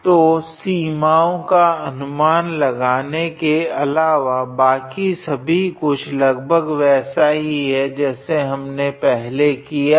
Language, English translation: Hindi, So, other than guessing the limits the rest of the things are pretty much same what we have studied before